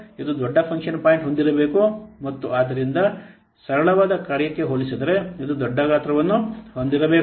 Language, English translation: Kannada, It should have larger function point and hence it should have larger size as compared to a simpler function